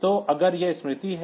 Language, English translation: Hindi, So, if this is the memory